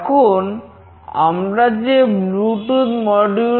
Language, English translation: Bengali, So, in this process we need a Bluetooth module